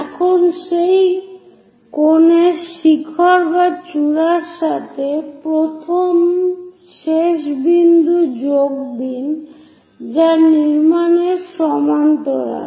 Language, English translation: Bengali, Now join the first last point with the peak or apex of that cone, parallel to that construct